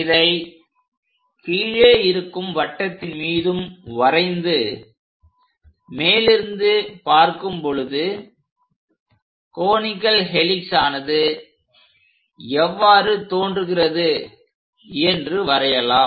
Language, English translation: Tamil, Then draw line passing through these points this is the way from top view the conical helix looks like